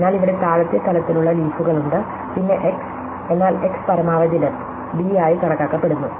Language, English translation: Malayalam, So, then there are leaves here which have at the lower level, than x, but x is assumed to be a maximum depth d